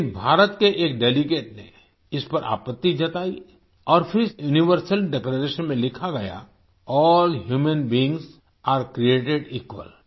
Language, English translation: Hindi, But a Delegate from India objected to this and then it was written in the Universal Declaration "All Human Beings are Created Equal"